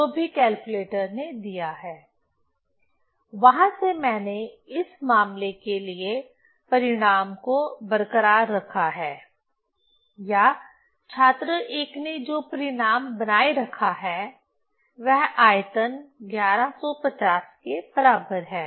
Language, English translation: Hindi, So, from there I have written the result for this case or student one has written the result volume is equal to 1150